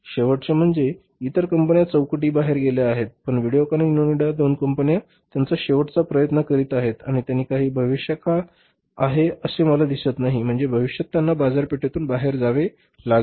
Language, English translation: Marathi, They are making last means other companies are gone out of the fray but these two companies, VDiocon and Onida they are making their last ditch effort and I don't see that there is a future for them means in the time to come they will have to go out of the market